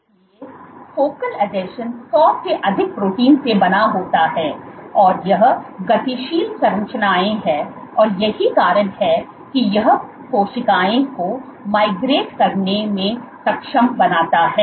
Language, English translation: Hindi, So, focal adhesions are composed of more than hundred proteins, these are dynamic structures that is why it enables cells to migrate